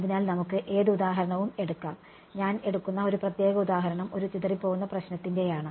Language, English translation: Malayalam, So, we can take any example a particular example that I will take is that of a scattering problem ok